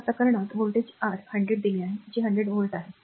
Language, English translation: Marathi, So, so, in this case a voltage is given your 100, 100 volt that is 100 volt